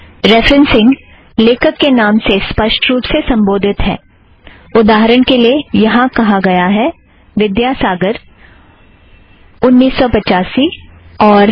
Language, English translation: Hindi, Referencing is by explicit addressing of author names, for example, here it says, Vidyasagar 1985, and year